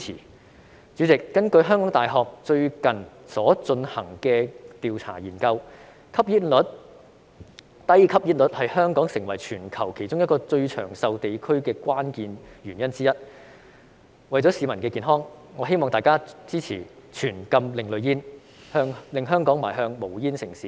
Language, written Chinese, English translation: Cantonese, 代理主席，根據香港大學最近進行的研究調查，低吸煙率是香港成為全球其中一個最長壽地區的關鍵原因之一，為了市民的健康，我希望大家支持全禁另類吸煙產品，令香港邁向無煙城市。, Deputy President according to a recent study conducted by the University of Hong Kong the low smoking rate is one of the main reasons for Hong Kong to be one of the places with the highest life expectancy in the world . For the sake of public health I hope Members will support a complete ban on ASPs to enable Hong Kong to move towards a smoke - free city